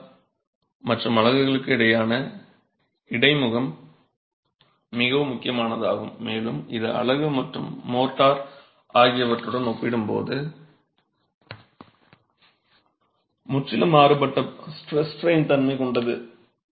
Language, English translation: Tamil, The most critical is the interface between the motor and the unit and that has a completely different stress strain behavior compared to the unit and the motor